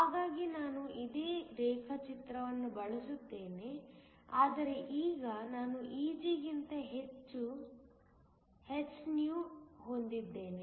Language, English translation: Kannada, So, if I want to show that I will use this same diagram, but now I have hυ that is greater than Eg